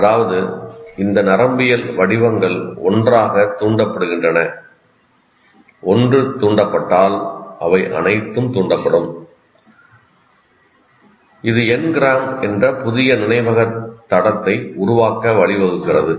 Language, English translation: Tamil, That means these neural patterns firing together, if one fires, they all fire, leads to forming a new memory trace called n gram